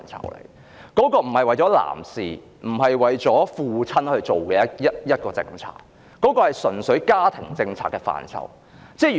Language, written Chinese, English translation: Cantonese, 侍產假並非為男士及一眾父親制訂的政策，而純粹是家庭政策中的一個範疇。, The granting of paternity leave should not be taken as a policy matter for men and fathers but simply one of the areas within the ambit of family policy